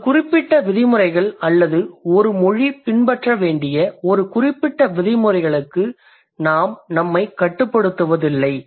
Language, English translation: Tamil, We don't restrict ourselves to a certain set of rules or a certain set of regulations that a language must follow